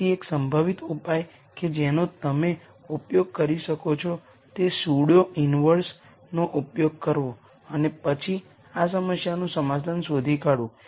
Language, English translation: Gujarati, So, one possible solution that you could use is to use the pseudo inverse and then nd a solution to this problem